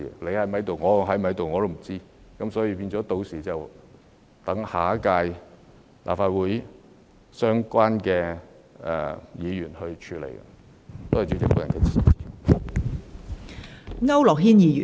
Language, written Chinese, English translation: Cantonese, 屆時大家是否仍然在任，也是未知之數，故要留待下屆立法會的相關議員處理。, By then it is unknown whether Honourable colleagues will still be in office . Therefore the incident should be left to relevant Members of the next term of the Legislative Council to handle